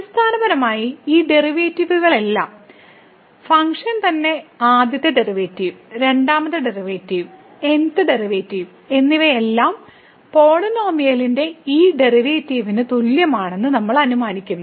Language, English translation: Malayalam, So, what we assume basically that all these derivatives, the function value itself the first derivative, the second derivative, and th derivative they all are equal to this derivative of the polynomial